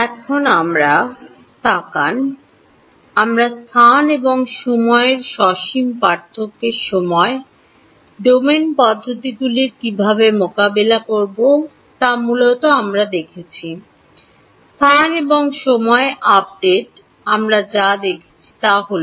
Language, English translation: Bengali, Now, let we have looked at; we have looked at basically how do you deal with the finite difference time domain methods in space and time; space and time updates is what we have seen